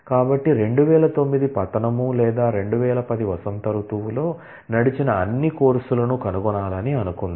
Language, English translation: Telugu, So, suppose we want to find all courses, that ran in fall 2009 or in spring 2010